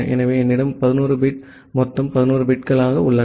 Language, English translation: Tamil, So, I have 11 bit total 11 bits remaining